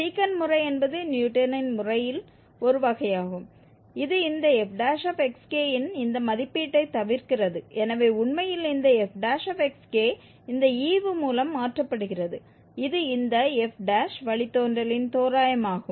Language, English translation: Tamil, The Secant Method is a variant of Newton's method which avoids this evaluation of this f prime xk so indeed this f prime xk is replaced by this quotient which is the approximation of, approximation of this f prime, the derivative